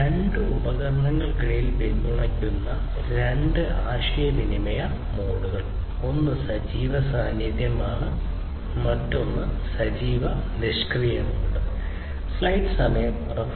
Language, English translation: Malayalam, And two communication modes are supported between two devices, one is the active active and the other one is the active passive mode